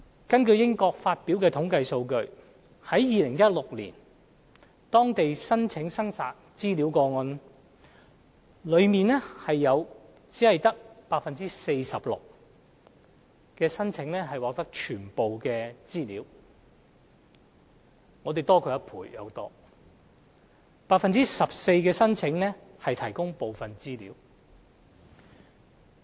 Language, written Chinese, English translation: Cantonese, 根據英國發表的統計數字，在2016年當地的申請索取資料個案，當中只有 46% 的申請獲提供全部資料，我們的數字高出1倍多 ；14% 的申請獲提供部分資料。, According to the statistics of the United Kingdom of all requests for information in 2016 only 46 % were met in full . Our figure is more than double of the United Kingdoms . About 14 % of the requests were partially met